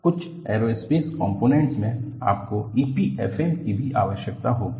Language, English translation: Hindi, In some aerospace components, you will also require E P F M